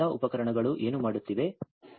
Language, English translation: Kannada, And whatever this all this instruments are doing